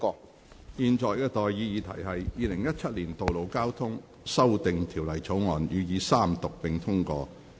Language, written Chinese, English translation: Cantonese, 我現在向各位提出的待議議題是：《2017年道路交通條例草案》予以三讀並通過。, I now propose the question to you and that is That the Road Traffic Amendment Bill 2017 be read the Third time and do pass